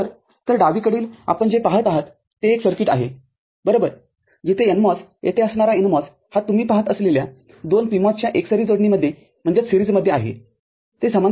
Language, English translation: Marathi, So, in the left hand side what you see is a circuit – right, where the NMOS an NMOS over here is in series with 2 PMOS that you see, they are not in parallel